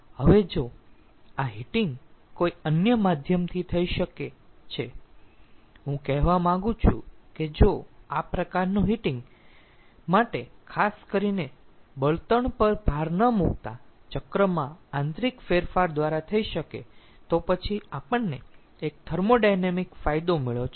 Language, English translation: Gujarati, now, if this heating can be done some other, by some other means, ah, some other means means, i like to say that if it can be done internally by cycle modification, not burdening the fuel specifically for this kind of heating, then we have got one advantage, one thermodynamic advantage